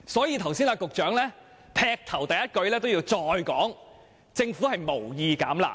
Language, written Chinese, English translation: Cantonese, 因此，局長剛才發言時，一開始便重申政府無意"減辣"。, That was why the Secretary stated at the outset of his speech that the Government had no plan to water down the curb measures